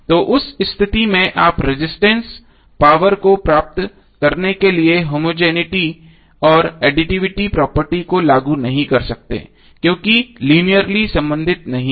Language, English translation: Hindi, So in that case you cannot apply the homogeneity and additivity property for getting the power across the resistor because these are not linearly related